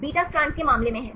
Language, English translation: Hindi, In the case of beta strands right